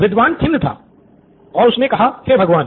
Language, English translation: Hindi, Scholar was all festered and said, Oh my God